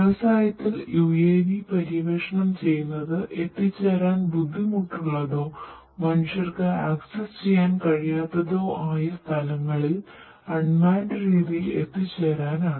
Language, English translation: Malayalam, UAVs are being explored in the industry to autonomously in an unmanned manner to reach out to places, which are basically difficult to be reached or accessible by humans